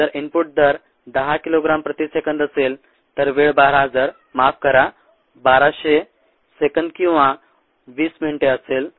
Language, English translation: Marathi, if the input rate happens to be ten kilogram per second, the time would be twelve thousand sorry, thousand two hundred seconds or a twenty minutes